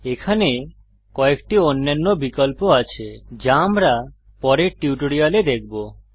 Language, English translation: Bengali, There are few other options here, which we will cover in the later tutorials